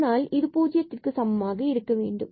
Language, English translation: Tamil, So, this x is 0 and then we have y is equal to 0